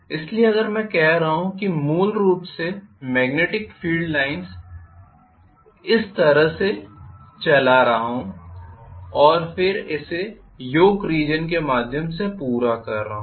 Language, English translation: Hindi, So, if I am saying that I am having basically the magnetic field line you know going like this and then completing itself through the Yoke Region